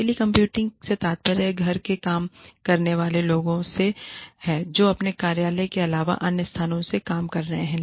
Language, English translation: Hindi, Telecommuting refers to, people working from home, people working from locations, other than their office